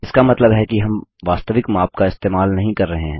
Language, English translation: Hindi, This means we do not use exact measurements